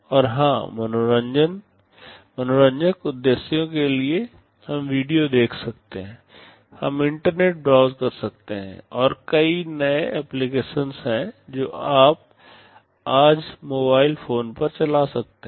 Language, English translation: Hindi, And of course, for recreational purposes we can watch video, we can browse internet, and there are so many new applications that you can run on mobile phones today